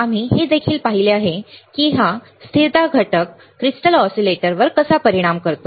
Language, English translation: Marathi, We have also seen how this stability factor affects the crystal oscillator